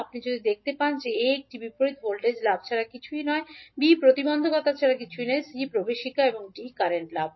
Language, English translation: Bengali, If you see A, A is nothing but a reverse voltage gain, B is nothing but the impedance, C is the admittance and D is current gain